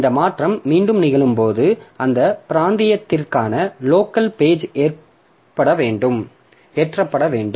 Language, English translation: Tamil, So when this change over occurs again the local pages for that region has to be loaded